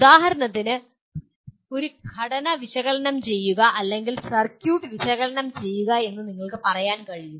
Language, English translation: Malayalam, For example you can say analyze a circuit which is or analyze a structure